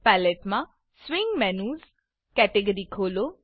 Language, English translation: Gujarati, In the Palette, open the Swing Menus category